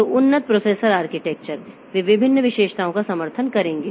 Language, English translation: Hindi, So, advanced processor architecture so they will support different features